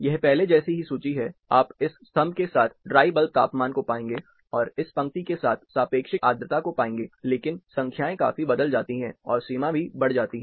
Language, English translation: Hindi, Similar table, the same you will find dry bulb, this along this column, and relative humidity along this row, but the numbers changes considerably, and the extent also increases